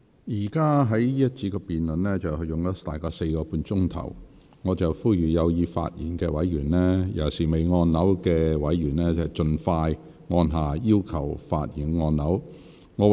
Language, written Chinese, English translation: Cantonese, 這個環節的辯論現已進行約4個半小時，我呼籲有意發言的委員，尤其是尚未發言的委員，盡早按下"要求發言"按鈕。, The debate in this section has now been proceeding for about four hours and a half . I urge that Members who wish to speak especially those who have not yet spoken press the Request to speak button as soon as possible